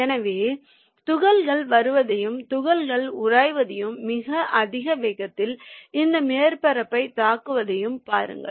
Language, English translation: Tamil, so look at that, the particles are coming and it is lifting the particles and at a very high velocity it is hitting the this surface